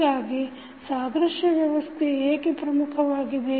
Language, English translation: Kannada, So, why the analogous system is important